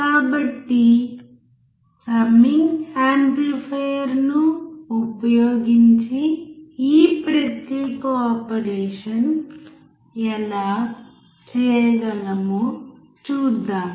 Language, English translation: Telugu, So, let us see how summing amplifier we can perform this particular operation